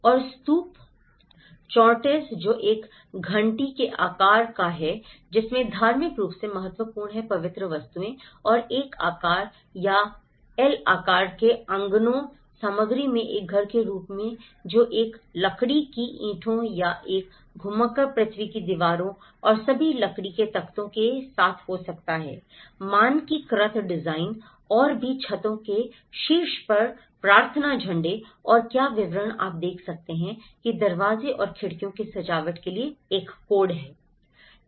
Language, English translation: Hindi, And the Stupas, the Chortens which is a bell shaped which contains a religiously significant sacred objects and there is a house forms either in I shape or an L shape courtyards, materials which could be a sundried bricks or a rammed earth walls and with all the timber frames with the standardized design and also the prayer flags on the top of the roofs and the details what you can see is a kind of a code for the decoration of doors and windows